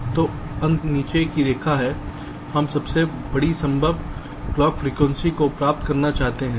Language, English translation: Hindi, so ultimately, the bottom line is we want to achieve the greatest possible clock frequency